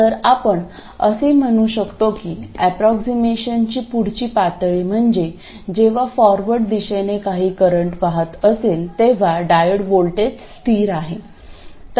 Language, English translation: Marathi, So, we can make a reasonable approximation that for a range of currents, the diode voltage is constant